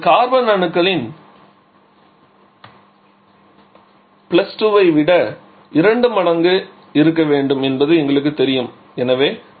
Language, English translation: Tamil, So, we know that has to be 2 twice of the number of carbon +2, so it will be 2 into x + 1 + 2